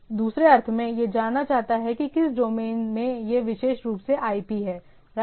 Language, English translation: Hindi, In other sense that it wants to know that particular which domain has this particular IP right